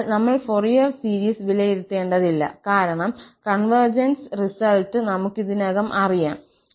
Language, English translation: Malayalam, So, we do not have to evaluate the Fourier series because we know already the convergence result